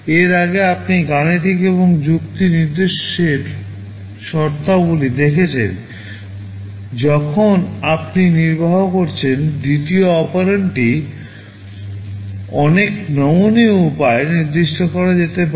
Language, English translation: Bengali, Earlier you have seen in terms of the arithmetic and logic instructions when you are executing, the second operand can be specified in so many flexible ways